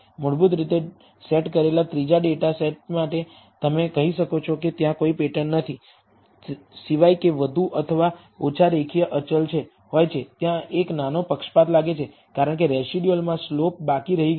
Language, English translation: Gujarati, For the third data set basically, you can say that there is no pattern, except that are constant more or less linear are constant, there seems to be a small bias because of the slope left in the residuals